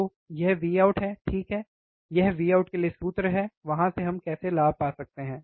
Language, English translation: Hindi, So, this is V out, right this is formula for V out, from there how can we find the gain